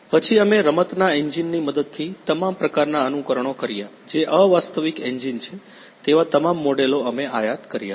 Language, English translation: Gujarati, Then we did all kinds of all kinds of simulations with the help of a game engine that is unreal engine we imported all the models to that